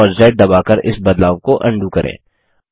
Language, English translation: Hindi, Press CTRL and C keys together to copy the image